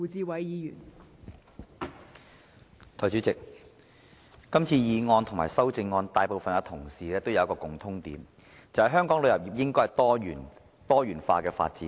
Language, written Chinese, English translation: Cantonese, 代理主席，今次的議案和修正案，大部分同事都提出一個共通點，便是香港的旅遊業應該多元化發展。, Deputy President regarding this motion and its amendments most Members have raised a point in common that is there should be diversified development for the tourism industry of Hong Kong